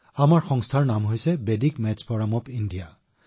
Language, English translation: Assamese, The name of our organization is Vedic Maths Forum India